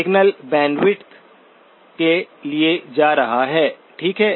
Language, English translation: Hindi, The signal bandwidth is going to, okay